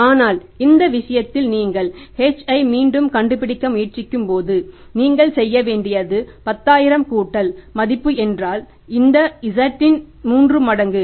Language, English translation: Tamil, We are adding it up to find up only Z but when you are trying to find out H in this case again you have to do is that is 10,000 plus value means three times times of this Z that is this